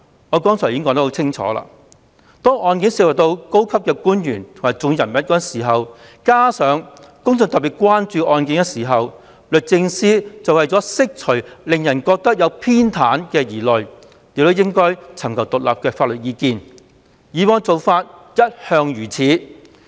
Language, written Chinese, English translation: Cantonese, 我剛才已清楚說明，當案件涉及高官或重要人物及引起公眾特別關注時，律政司為釋除令人覺得他們有所偏袒的疑慮，便應尋求獨立法律意見，以往的做法一向如此。, As I have explained clearly DoJ should seek independent legal advice if a case involving senior officials or important figures has aroused particular public concern so as to alleviate peoples concern about favouritism on their part . This has been an established practice all along